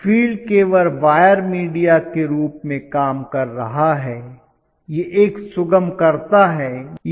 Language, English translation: Hindi, The field is only working as a wire media; it is a facilitator